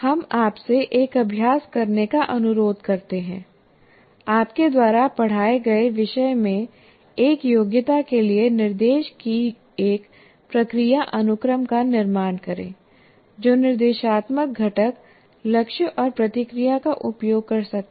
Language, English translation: Hindi, So we request you to do an exercise, construct a process sequence of instruction for a competency in a subject that you taught that can use or already use the instructional component goals and feedback